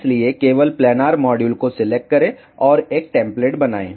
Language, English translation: Hindi, So, select the planar module only and create a template